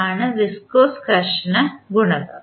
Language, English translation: Malayalam, B is the viscous frictional coefficient